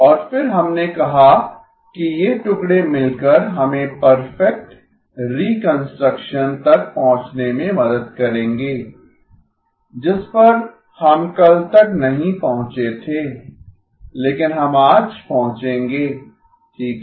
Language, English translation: Hindi, And then we said that these pieces together will help us reach perfect reconstruction which we did not reach yesterday but we will reach today okay